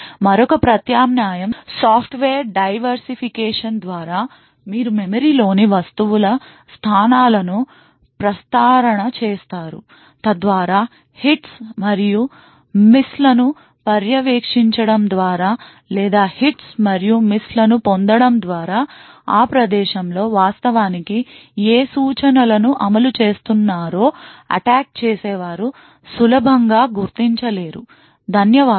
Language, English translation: Telugu, Another alternative is by software diversification where you permute the locations of objects in memory so that by monitoring the hits and misses or by obtaining the hits and misses, the attacker will not be easily able to identify what instruction was actually being executed at that location, thank you